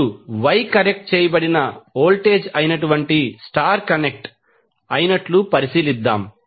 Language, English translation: Telugu, Now, let us consider the star connected that is wye connected voltage for now